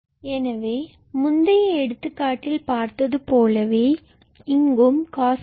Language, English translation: Tamil, So, like previous example from here we will obtain basically cos square theta